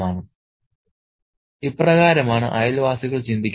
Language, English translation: Malayalam, So, this is what the neighborhood thinks